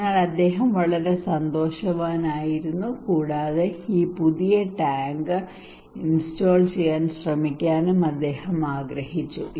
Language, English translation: Malayalam, So he was very happy okay, and he wanted to try this new tank to install